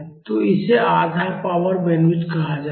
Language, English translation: Hindi, So, this is called half power bandwidth